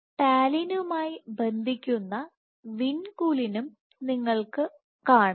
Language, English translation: Malayalam, You have vinculin which also binds to Talin